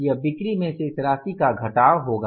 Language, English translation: Hindi, It will be sales minus this amount